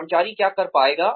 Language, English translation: Hindi, What the employee would be able to do